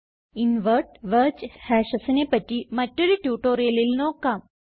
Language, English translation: Malayalam, I will cover Invert wedge hashes in an another tutorial